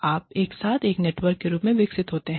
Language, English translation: Hindi, You develop together, as a network